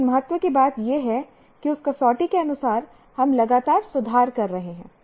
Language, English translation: Hindi, But what is of importance is that according to that criterion that we are improving continuously